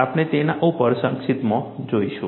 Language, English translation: Gujarati, We will also have a brief look at them